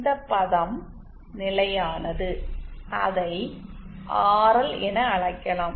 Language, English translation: Tamil, This term is also a constant let us called it RL